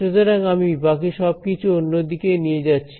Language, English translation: Bengali, So, let me move everything else on to the other side